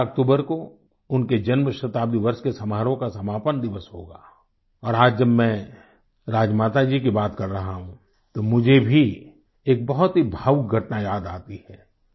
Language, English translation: Hindi, This October 12th will mark the conclusion of her birth centenary year celebrations and today when I speak about Rajmata ji, I am reminded of an emotional incident